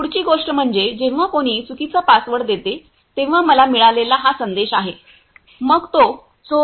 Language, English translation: Marathi, Next thing is, this is the message I got when someone gives the wrong password, then its send the Thief